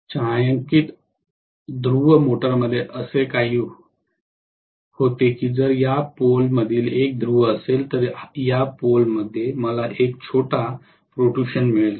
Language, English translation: Marathi, In shaded pole motor what happens is if this is one of the poles I am going to have a small protrusion in this pole